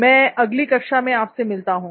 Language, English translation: Hindi, So see you next class, bye